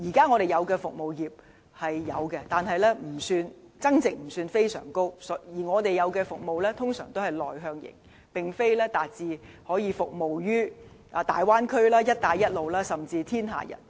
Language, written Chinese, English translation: Cantonese, 我們現時的服務業增值不算非常高，而我們的服務多是內向型，並非達致可以服務於大灣區、"一帶一路"國家，甚至全世界。, At this moment our service industry does not generate much added value and our services mainly target internal demands but not markets in the Big Bay Area Belt and Road countries or even the whole world